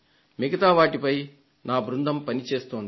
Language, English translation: Telugu, My team is working on the others